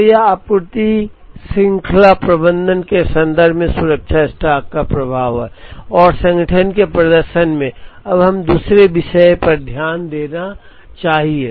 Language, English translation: Hindi, So, this is the impact of safety stock in the context of supply chain management, and in the performance of organization, Now let us look at another topic